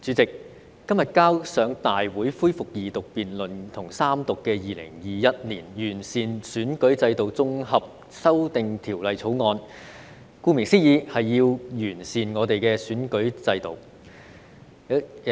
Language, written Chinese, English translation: Cantonese, 主席，今天提交大會恢復二讀辯論及三讀的《2021年完善選舉制度條例草案》，顧名思義，是要"完善"我們的選舉制度。, President the Improving Electoral System Bill 2021 the Bill tabled before the Legislative Council today for resumption of the Second Reading debate and Third Reading seeks as the title suggests to improve our electoral system